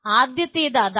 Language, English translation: Malayalam, First thing is that